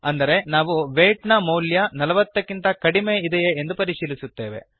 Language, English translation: Kannada, So We are checking if the value of weight is less than 40